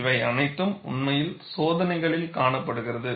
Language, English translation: Tamil, It is indeed observed in experiments